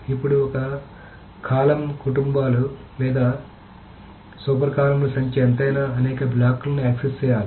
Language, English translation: Telugu, Now here, whatever is the number of column families or super columns, that many blocks need to be accessed